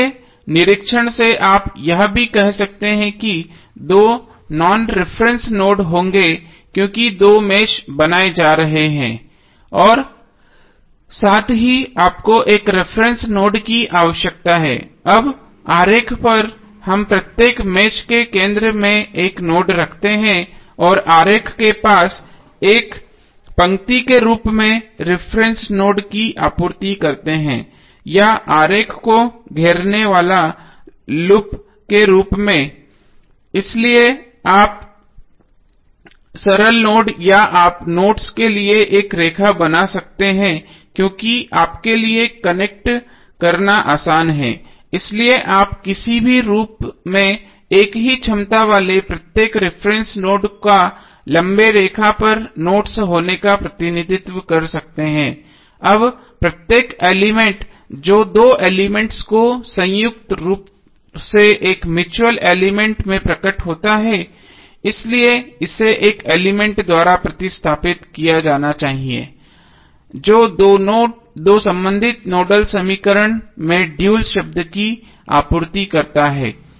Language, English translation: Hindi, So, by inspection also you can say that there would be two non reference nodes because there are two meshes being constructed plus you need to additionally have one reference node, now on the diagram we place node at the center of each mesh and supply the reference node as a line near the diagram or the loop enclosing the diagram, so you can say like simple node or you can create a line for nodes, because it is easier for you to connect so you can represent reference in any form like long line having nodes at each note having same potential, now each element that appears jointly in two meshes each a mutual element, so it must be replaced by an element that supplies the dual term in the two corresponding nodal equation